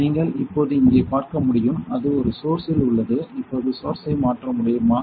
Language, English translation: Tamil, So, you can see here now it is in one source now can you change the source